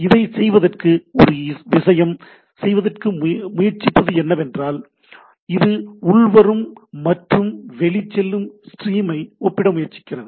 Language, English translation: Tamil, In order to do what is one of the things what it tries to do, it tries to match this incoming and outgoing stream right